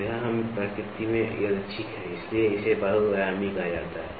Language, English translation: Hindi, So, here we it is random in nature so, it is called as multidirectional